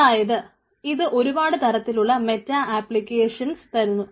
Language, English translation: Malayalam, so that means it gives several type of other meta applications